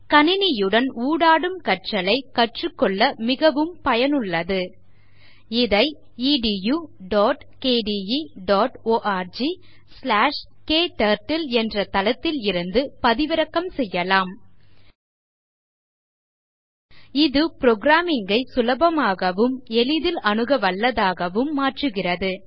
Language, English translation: Tamil, It is useful for computer aided interactive learning KTurtle is available for download at http://edu.kde.org/kturtle/ KTurtle makes programming easy and accessible